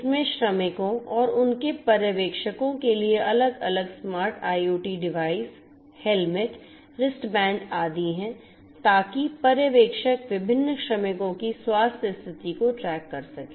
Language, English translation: Hindi, It has different you know smart IoT devices, helmets, wristbands, etcetera for the workers and their supervisors so that the supervisors can track the health condition of the different workers